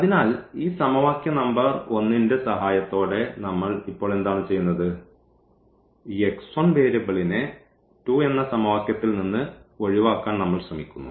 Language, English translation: Malayalam, So, here what we are doing now with the help of this equation number 1, we are trying to eliminate this x 1 variable from the equation number 2